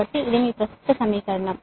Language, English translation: Telugu, this is your current equation now